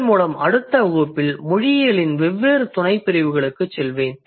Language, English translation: Tamil, So, with this I would move over to the different sub disciplines of linguistics in the next class